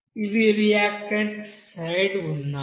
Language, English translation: Telugu, These are the reactant side